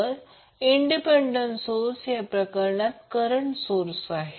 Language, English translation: Marathi, So, independent source in this case is the current source